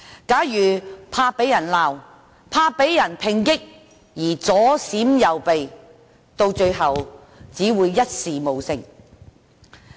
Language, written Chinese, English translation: Cantonese, 假如他害怕被責罵及抨擊而左閃右避，最終只會一事無成。, In fact he or she will achieve nothing in the end if he or she is not resolute enough because of having worries about criticisms and attacks